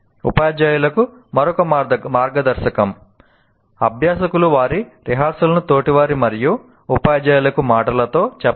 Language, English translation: Telugu, And another guideline to teacher, have learners verbalize their rehearsal to peers and teachers